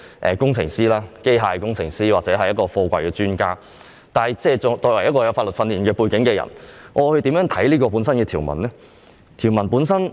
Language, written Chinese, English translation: Cantonese, 我不是機械工程師或貨櫃專家，但作為具有法律訓練背景的議員，我會如何看待這條文呢？, I am no expert in mechanical engineering or containers but as a Member with legal training background what are my views on Schedule 1 to the principal ordinance?